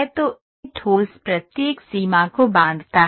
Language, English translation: Hindi, So, this solid is bounds each boundary